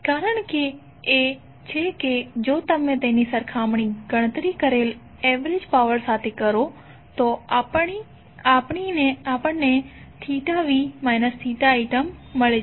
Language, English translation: Gujarati, The reason is that if you compare it with the average power we calculated we got the term of theta v minus theta i